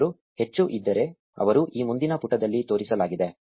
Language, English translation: Kannada, If they were more they would have shown up in this next page